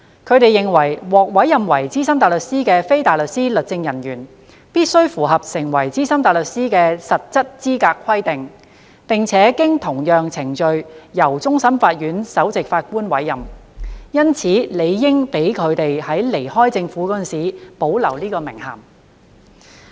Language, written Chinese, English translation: Cantonese, 他們認為，獲委任為資深大律師的非大律師律政人員必須符合成為資深大律師的實質資格規定，並且經同樣程序由終審法院首席法官委任，因此理應讓他們在離開政府時保留此名銜。, They held that since legal officers appointed as SC must satisfy the substantive eligibility requirements of SC and be appointed by the Chief Justice of the Court of Final Appeal CJ through the same process they should be allowed to retain the title after leaving the Government